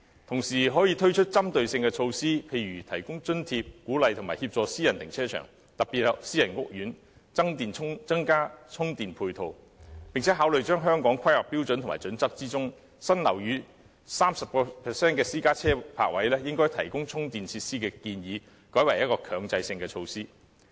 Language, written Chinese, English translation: Cantonese, 同時，可以推出針對性的措施，例如提供津貼，鼓勵和協助私人停車場，特別是私人屋苑增加充電配套，並考慮將《香港規劃標準與準則》中，新樓宇內 30% 的私家車泊位應提供充電設施的建議改為強制性措施。, It should also find ways to encourage gradual enhancement of the charging speed of the existing charging stations so as to enhance efficiency . At the same time it can launch some targeted measures such as providing allowances to encourage and assist private car parks especially in private housing estates in installing more charging facilities . It can also consider turning the proposal concerning 30 % of private car parking spaces in new housing developments being equipped with charging facilities into a mandatory measure